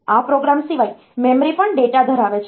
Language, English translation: Gujarati, Apart from this program, memory also holds the data